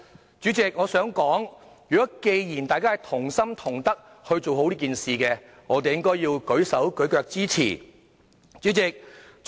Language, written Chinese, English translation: Cantonese, 代理主席，我認為既然大家同心同德去做好這件事，便應該"舉手舉腳"支持。, Deputy President since everyone is making a concerted effort to do a good job of this I believe we should give it our full support